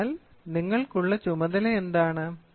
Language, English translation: Malayalam, So, what is the task for the student